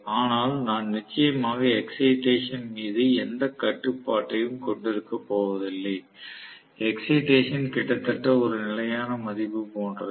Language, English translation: Tamil, But I am going to have definitely no control over the excitation; the excitation is almost like a constant value